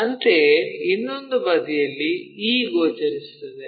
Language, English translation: Kannada, Similarly, on the other side, e thing will be visible